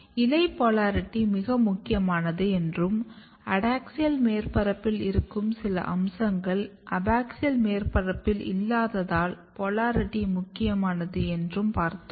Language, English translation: Tamil, So, as I said that leaf polarity is also very important and because some of the features which are present in the adaxial surface is not present on the abaxial surface and these polarity is very very important